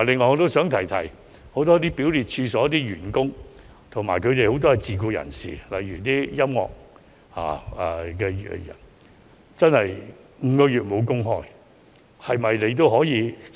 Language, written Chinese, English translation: Cantonese, 我想指出，很多表列處所的員工及其受聘的自僱人士，例如音樂表演者，確實已失業長達5個月。, I would like to point out that many employees of the affected scheduled premises as well as self - employed persons working there such as musical performers have indeed been out of work for five months